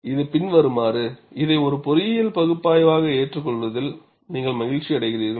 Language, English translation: Tamil, As long as it follows, you are happy to accept this as an engineering analysis